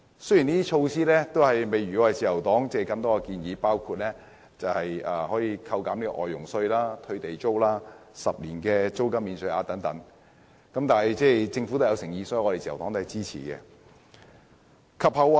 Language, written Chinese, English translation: Cantonese, 雖然這些措施並未包括自由黨的建議，例如扣減外傭稅、退地租、10年租金免稅額等，但我們看到政府的誠意，所以自由黨仍然會支持政府。, Although the recommendations made by the Labour Party such as deduction of the levy on foreign domestic helpers refund of Government rent and a 10 - year tax allowance for rentals are not included in these measures we can see that the Government is sincere . Therefore the Labour Party will still support the Government